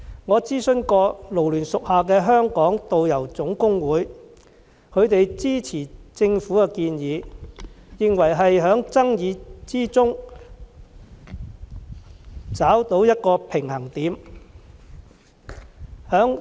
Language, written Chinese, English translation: Cantonese, 我曾經諮詢港九勞工社團聯會屬下的香港導遊總工會，他們支持政府的建議，認為這是在爭議之中找到一個平衡點。, I have consulted the Hong Kong Tour Guides General Union under the Federation of Hong Kong and Kowloon Labour Unions and learnt that they support the Governments proposal as they find that a balance has been struck in the dispute